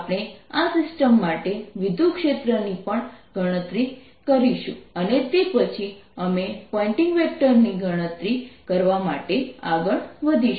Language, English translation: Gujarati, we will also calculate the electric field for this system and then on we'll move to calculate the pointing vector